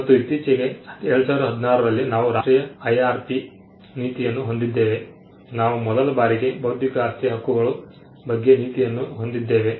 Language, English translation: Kannada, And recently in 2016, we had the National IRP policy, we had for the first time we had a policy on intellectual property rights